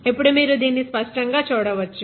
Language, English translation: Telugu, So, you can see it now very clearly